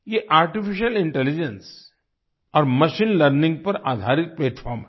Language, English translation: Hindi, This is a platform based on artificial intelligence and machine learning